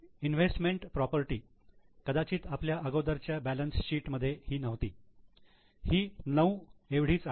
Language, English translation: Marathi, Investment property, perhaps in our earlier balance sheets this was not there